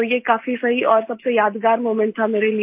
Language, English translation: Hindi, So it was perfect and most memorable moment for me